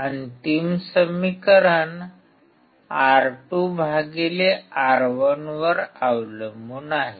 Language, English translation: Marathi, The final equation depends on R2/R1